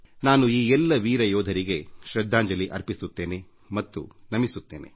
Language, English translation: Kannada, I respectfully pay my homage to all these brave soldiers, I bow to them